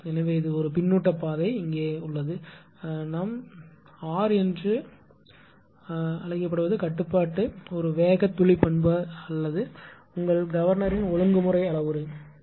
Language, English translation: Tamil, So, one feedback path is put it here the regulation we call r is a speed droop characteristic or your; what you call the regulation parameter of the governor, right